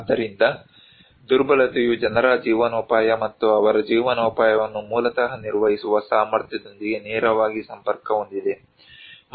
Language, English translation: Kannada, So, vulnerability is directly connected with people's livelihood and their capacity to manage their livelihood basically